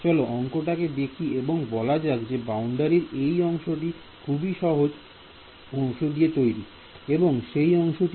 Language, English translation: Bengali, So let us see the problem that let us say that this part of the boundary over here is made out of this green part